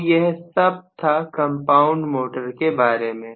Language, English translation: Hindi, So, much so for the compound motors